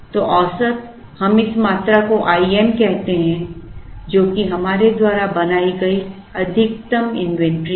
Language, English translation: Hindi, So, average let us call this quantity as Im which is the maximum inventory that we have built